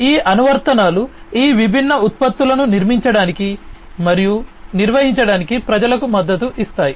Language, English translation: Telugu, These applications support the people to build and maintain these different products